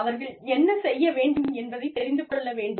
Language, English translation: Tamil, They need to know, what they need to do